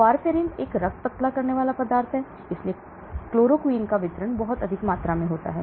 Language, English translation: Hindi, Warfarin is a blood thinning, so chloroquine has a very high volume of distribution